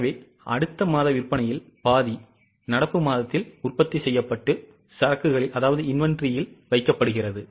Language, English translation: Tamil, So, half of the next month sales are produced in the current month and kept in the inventory